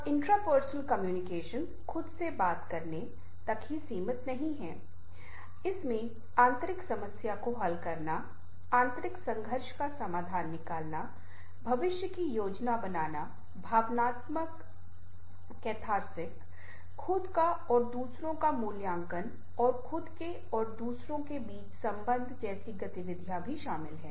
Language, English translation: Hindi, it also includes such activities as internal problem solving, resolution of internal conflict, planning for the future, emotional catharsis, evaluations of ourselves and others and the relationship between ourselves and others